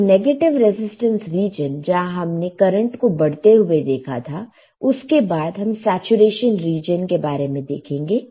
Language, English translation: Hindi, So, saturation region let us see after the negative resistance region which saw an increase in current comes the saturation region